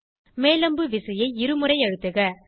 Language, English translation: Tamil, Press the up arrow key twice